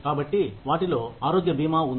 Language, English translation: Telugu, So, they include health insurance